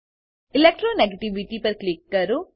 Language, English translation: Gujarati, Click on Electro negativity